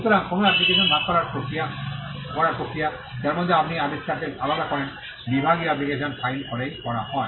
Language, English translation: Bengali, So, the process of dividing an application, wherein, you separate the invention, is done by filing a divisional application